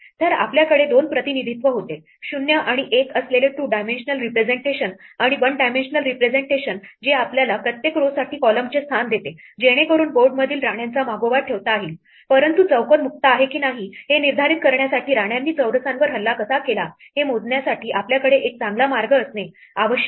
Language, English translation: Marathi, So, we had two representations, a two dimensional representation with 0s and ones and a one dimensional representation which gives us the column position for each row to keep track of the queens in the board, but in order to determine whether a square is free or not, we need to have a better way to compute how the squares are attacked by queens